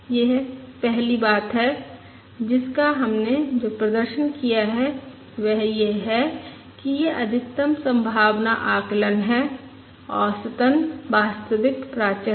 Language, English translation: Hindi, That is, first, what we have demonstrated is this maximum likelihood estimate, on average, is the true parameter